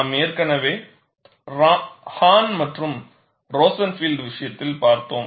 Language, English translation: Tamil, We have already seen in the case of Hahn and Rosenfield